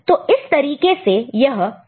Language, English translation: Hindi, So, this is the way count will progress